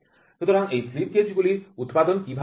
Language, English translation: Bengali, So, how are these manufacturing of slip gauges done